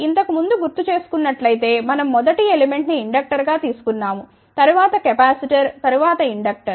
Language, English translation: Telugu, Just recall previously we had taken first element as inductor then capacitor then inductor